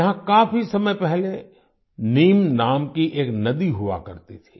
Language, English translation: Hindi, A long time ago, there used to be a river here named Neem